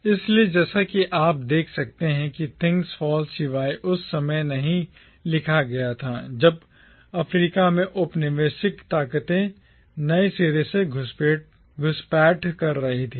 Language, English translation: Hindi, So, as you can see Things Fall Apart was written not at a time when colonial forces were making fresh inroads in Africa